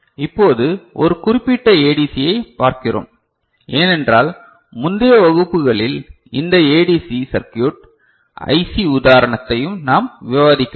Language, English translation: Tamil, Now, we look at one particular ADC, because we have not discussed any ADC circuit, IC example in the previous classes